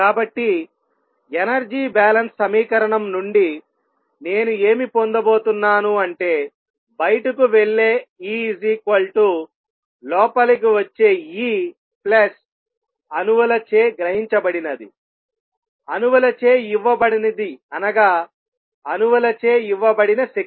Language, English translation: Telugu, So, from the energy balance equation I am going to have going have E going out is going to be equal to E coming in plus whatever has been observed, whatever has been given by the atoms energy given by atoms